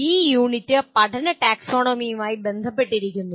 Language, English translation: Malayalam, The unit is concerned with the Taxonomy of Learning